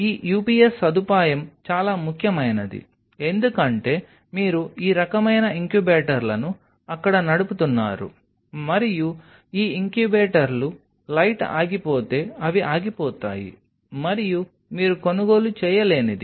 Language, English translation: Telugu, This UPS facility is very important because of the obvious reason because your running all this kind of incubators out there, and these incubators if the light goes off they will go off and that something you would cannot afford